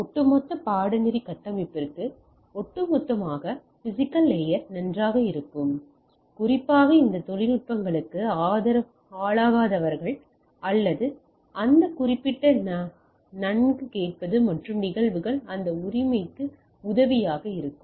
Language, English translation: Tamil, And also vis a vis little bit of physical layer may be good for the overall for the overall course structure, and especially those who are not exposed to this technologies or this particular well listen and phenomena will be it will be helpful for that right